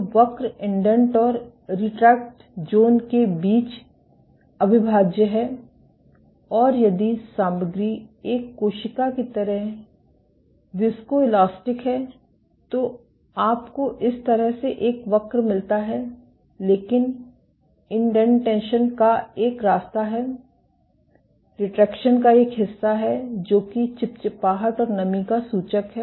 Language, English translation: Hindi, So, the curve is indistinguishable between the indent and the retract zones and if the material is viscoelastic like a cell you get a curve like this, but there is one path of indentation and one part of retraction; suggestive of viscous damping